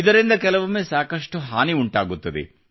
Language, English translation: Kannada, This also causes havoc at times